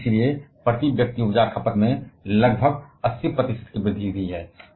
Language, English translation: Hindi, And so, about 80 percent increase in the per capita energy consumption